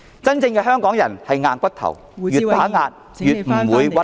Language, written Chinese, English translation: Cantonese, 真正的香港人是"硬骨頭"，越被打壓就越不屈服......, Real Hong Kong people are unyielding and dauntless people the harder the oppression the more unyielding they become